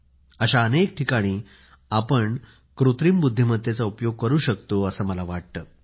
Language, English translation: Marathi, I feel we can harness Artificial Intelligence in many such fields